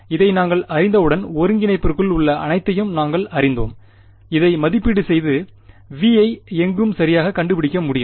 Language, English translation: Tamil, Once we knew this, then we knew everything inside the integrand and I could evaluate this and find out V anywhere right